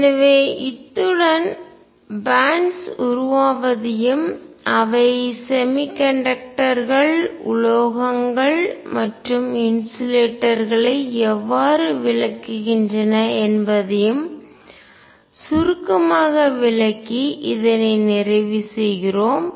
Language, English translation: Tamil, So, with this we conclude a brief introduction to formation of bands and how they explain semiconductors metals and insulators